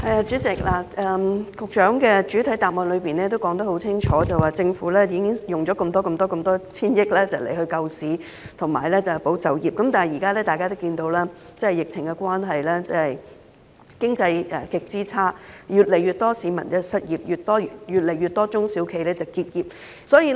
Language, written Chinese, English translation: Cantonese, 主席，局長的主體答覆很清楚，政府用了數千億元救市和保就業，但現實的情況是：由於疫情持續，經濟極差，越來越多市民失業，越來越多中小企結業。, President the Secretarys main reply has very clearly conveyed the message that the Government has spent hundreds of billions of dollars on rescue measures and employment support . However the reality is that owing to the continual epidemic the economy remains in the doldrums with more and more members of the public being laid off and SMEs closing down